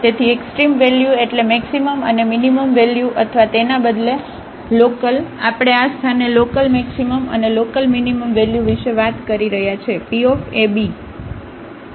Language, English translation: Gujarati, So, extreme value means the maximum and the minimum value or rather the local we are talking about local maximum and local minimum values of it at this point p